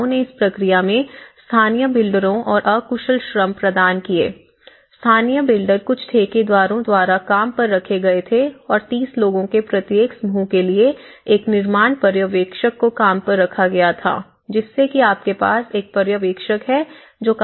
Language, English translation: Hindi, The communities they also provided some kind of informal the unskilled labour at this process and the local builders because for a group of the some of the local builders were hired by the contractors and the construction supervisors for every group of 30 so, you have one supervisor who is looking at it